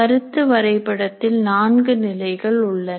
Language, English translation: Tamil, So a concept map can have several layers